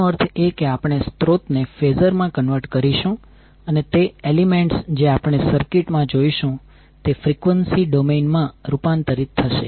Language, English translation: Gujarati, That means we will convert the sources into phasor and the elements which we see in the circuit will be converted into the frequency domain